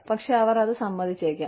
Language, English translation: Malayalam, But, they may agree to it